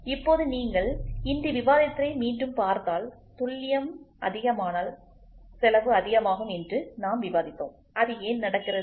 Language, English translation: Tamil, Now if you go back today just now we discussed as the accuracy goes higher and higher the cost goes high; why does that happen